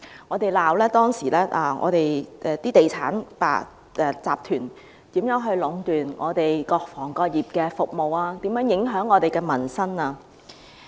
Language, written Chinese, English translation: Cantonese, 我們指責當時的地產集團如何壟斷各行各業的服務，如何影響民生。, Back then we criticized the real estate developers of monopolizing the services of various trades and affecting peoples livelihood